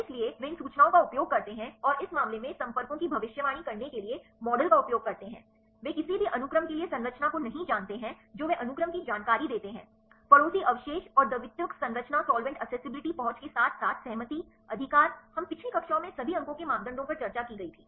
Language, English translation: Hindi, So, they use these information and they use the model for predicting this contacts in this case, they do not know the structure for any sequence they give the sequence information, neighboring residues and secondary structure solvent accessibility as well as the conservations, right, we were discussed all the score the parameters in the previous classes